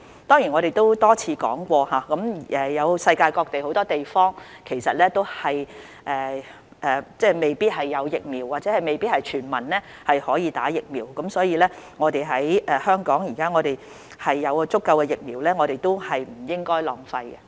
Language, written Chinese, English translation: Cantonese, 當然，我們已多次指出，世界各地很多地方未必有疫苗或未必可以全民接種，所以既然香港有足夠的疫苗，我們不應該浪費。, Certainly as we have pointed out many times in many places around the world vaccines may not be available or may not be sufficient for everyone . Hence with abundant supply of vaccines in Hong Kong we should not waste them